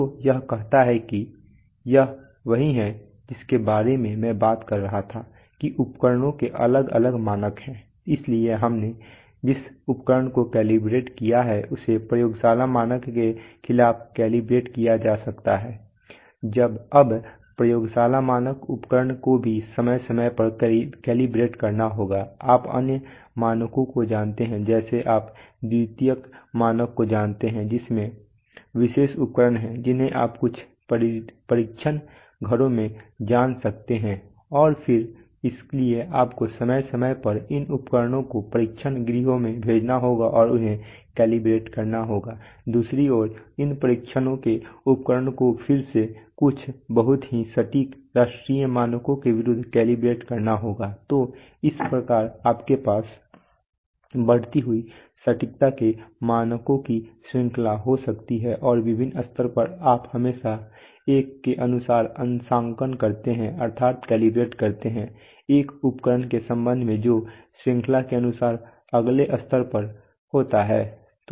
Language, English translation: Hindi, So this is what it says that, this is what I was talking about that there are different standards of instruments, so the instrument we calibrated can be calibrated against the laboratory standard now the laboratory standard instrument also has to be from time to time calibrated against you know other standards like you know secondary standards which are, which has special instruments which can be you know existing in some test houses and then, So you from time to time you have to send these instruments to the test houses and get them calibrated, on the other hand these tests house instruments again have to be calibrated against in some very very accurate national standards, so in this way you have, you know, what is the called a chain of standards of increasing accuracy and at different levels you always calibrate according to a, with respect to an instrument which is at the, at the next level according to the chain